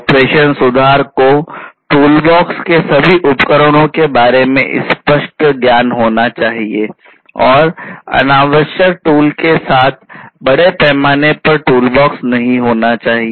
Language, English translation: Hindi, Operation improvement is vital company should have clear knowledge about all tools of the toolbox, and should not have massive toolbox with unnecessary tools